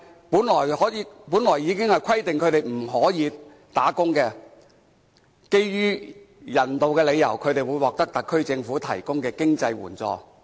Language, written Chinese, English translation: Cantonese, 本來當局規定他們不可以工作，但基於人道理由，他們會獲得特區政府提供的經濟援助。, As required by the authorities they cannot take up any employment . Nevertheless on humanitarian grounds they are provided with financial assistance by the SAR Government